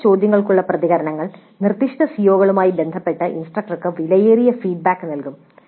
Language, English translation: Malayalam, So responses to such questions will provide valuable feedback to the instructor with respect to specific COs